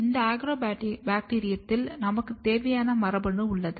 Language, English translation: Tamil, This Agrobacterium has my gene of interest